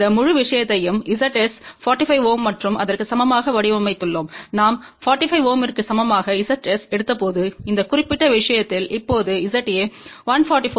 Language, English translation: Tamil, We actually designed this whole thing for Z s equal to 45 ohm and when we took Z s equal to 45 ohm in this particular case now Z a is 144 ohm and Z b is 97